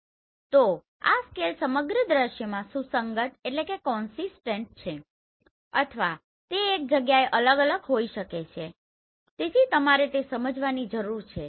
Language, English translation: Gujarati, So do this scale is consistent throughout the scene or they can vary place to place so that you need to understand